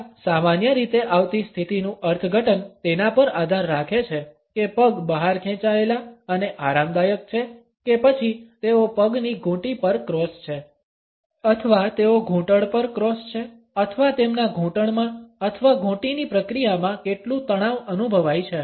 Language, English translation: Gujarati, Interpretations of this commonly come across position depend on whether the legs are out stretched and relaxed or they are crossed at the ankles or they are crossed at the knees or how much tension is perceptible in their knees or in the ankle process